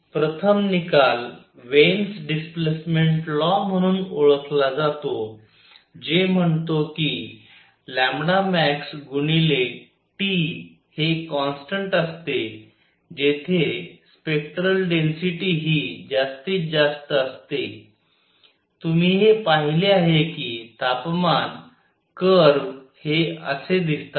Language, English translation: Marathi, First result is known as Wien’s displacement law which says that lambda max where the spectral density is maximum times T is a constant, you have seen that the temperature; the curves look like this